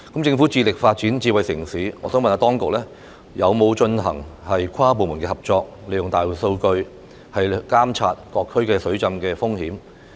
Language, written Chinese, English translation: Cantonese, 政府致力發展智慧城市，我想問當局有否進行跨部門合作，利用大數據監察各區水浸風險？, As the Government is committed to pursuing smart city development may I ask the authorities whether there is interdepartmental collaboration in using big data to monitor the flooding risks in various districts?